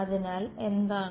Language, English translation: Malayalam, So, what is the